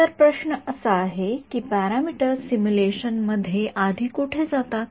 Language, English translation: Marathi, So, the question is about where do these parameters go in the simulation before